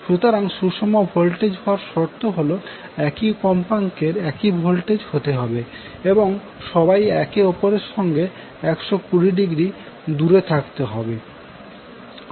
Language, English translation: Bengali, So, the criteria for balanced voltage output is that the voltage magnitudes should be same frequency should be same and all should be 120 degree apart from each other